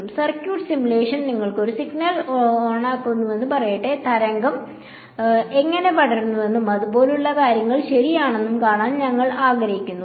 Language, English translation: Malayalam, Let us say circuit simulation you turn a signal on and you want to see how the wave spreads and things like that right